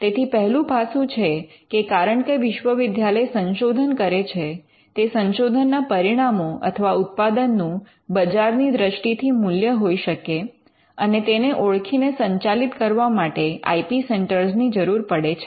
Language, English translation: Gujarati, So, the first aspect is because universities do research you may have products of research that could have commercial value and you need IP centres to manage and to capture that